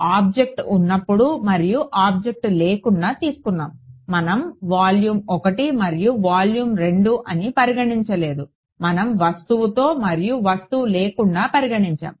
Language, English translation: Telugu, Beside with and without the object right, we did not consider a volume one and then volume two, we consider considered with and without object